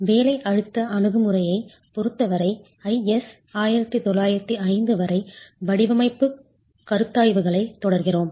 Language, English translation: Tamil, So, we continue with design considerations as far as IS 1905, the working stress approach is concerned